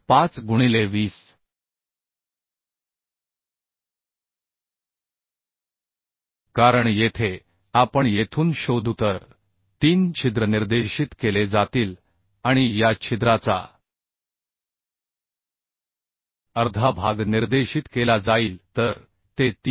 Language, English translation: Marathi, 5 into 20 because here we will find out from here to this right So three hole will be directed and half of this hole will be directed so it will be 3